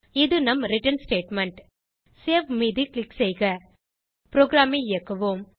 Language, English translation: Tamil, This is our return statement Now Click on Save Let us execute the program